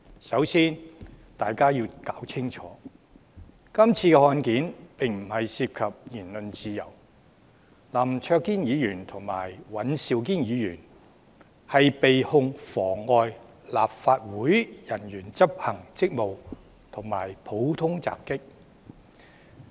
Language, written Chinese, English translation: Cantonese, 首先，大家要弄清楚，這宗案件不涉及言論自由，林卓廷議員和尹兆堅議員的控罪是妨礙立法會人員執行職務和普通襲擊。, First Members must make clear that with Mr LAM Cheuk - ting and Mr Andrew WAN under charges of obstructing officers of the Council in the execution of duty and common assault the case in question has nothing to do with freedom of speech